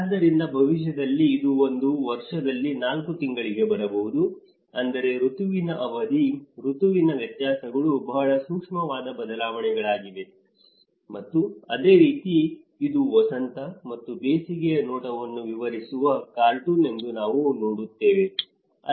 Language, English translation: Kannada, So, maybe in future it may come up to 4 months in a year so, which means that season duration, the season variances are very subtle changes are there, and similarly, we see that this is a cartoon explaining the spring and summer looks the same, and there is a fall on winter looks the same you know